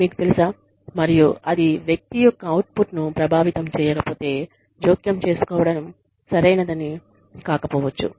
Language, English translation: Telugu, You know, and, if it is not affecting the person's output, then it may not be right to intervene